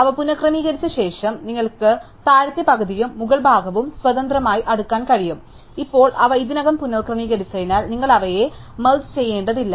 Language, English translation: Malayalam, Having rearranged them, you can sort the lower half and the upper half independently and now, because they already rearranged, you do not have to merge them